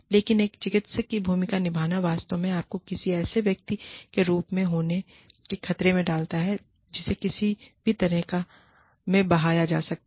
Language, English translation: Hindi, But, playing the role of a therapist, really puts you in danger, of being perceived as somebody, who can be swayed